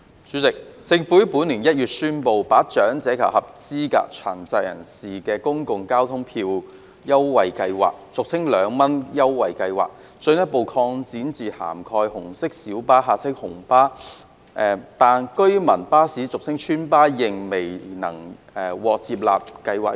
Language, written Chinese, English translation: Cantonese, 主席，政府於本年1月宣布，把政府長者及合資格殘疾人士公共交通票價優惠計劃進一步擴展至涵蓋紅色小巴，但居民巴士仍未獲納入計劃。, President the Government announced in January this year that it would further extend the Government Public Transport Fare Concession Scheme for the Elderly and Eligible Persons with Disabilities to cover red minibuses RMBs . However residents buses are not yet included in the Scheme